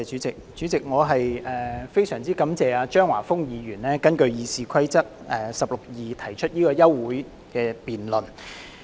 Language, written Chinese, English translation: Cantonese, 主席，我非常感謝張華峰議員根據《議事規則》第162條動議休會待續議案。, President I am most grateful to Mr Christopher CHEUNG for moving the adjournment motion under Rule 162 of the Rules of Procedure